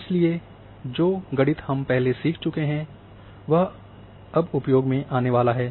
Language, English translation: Hindi, So, the the mathematics which we have learnt earlier is now going to be used